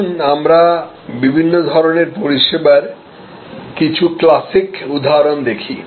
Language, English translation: Bengali, Let us look at the different types of service delivery classical options